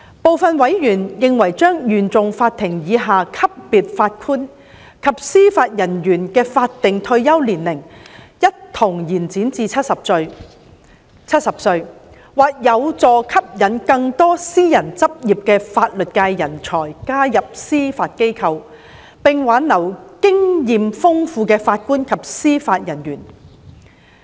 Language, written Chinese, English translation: Cantonese, 部分委員認為將原訟法庭以下級別法官及司法人員的法定退休年齡一同延展至70歲，或有助吸引更多私人執業的法律界人才加入司法機構，並挽留經驗豐富的法官及司法人員。, Some members consider that extending the statutory retirement age of JJOs below the level of Court of First Instance of the High Court CFI to 70 as well may help attract more talents in the private legal practices to join the Judiciary and retain experienced JJOs